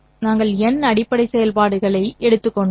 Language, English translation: Tamil, We should normally be able to find n such basis functions